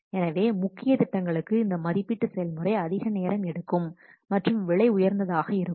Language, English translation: Tamil, With a major project, this evolution process can be time consuming and expensive